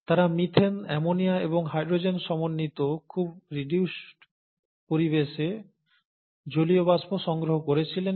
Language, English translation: Bengali, They collected the water vapour under a very reduced environment consisting of methane, ammonia and hydrogen